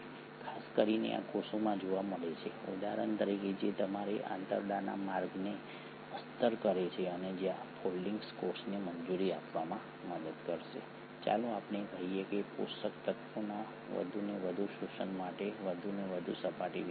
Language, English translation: Gujarati, Especially these are seen in cells for example which are lining your intestinal tract where these foldings will help allow a cell, a greater surface area for more and more absorption of let us say nutrients